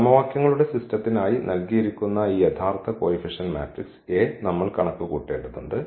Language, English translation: Malayalam, We have to compute the; this original coefficient matrix A which was given for the system of equations